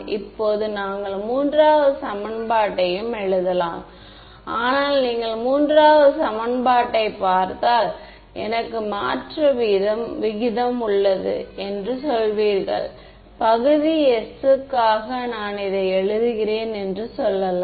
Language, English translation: Tamil, Now we could also write the third equation, but I mean you will got the basic idea for now if I look at the third equation I have rate of change let us say I am writing it for the region s